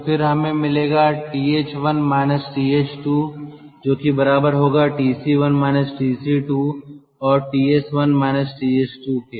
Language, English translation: Hindi, so if that is so, then we will get th one minus th two, that is equal to tc one minus tc two, and ts one minus ts two